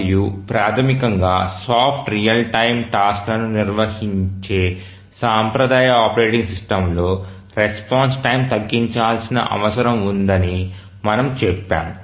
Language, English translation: Telugu, And we had said that in the traditional operating system which handles basically soft real time tasks